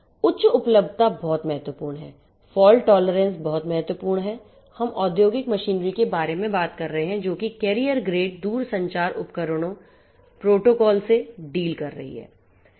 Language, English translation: Hindi, High availability is very important, fault tolerance feature is very important, we are talking about industrial machinery dealing with carrier grade telecommunication equipments, protocols and so on